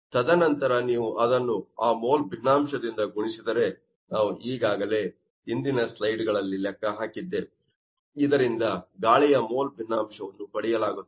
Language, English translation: Kannada, 87 as per this calculation, and then if you multiply it by that mole fraction, that already we have calculated in the previous slides, that will be the mole fraction of air is coming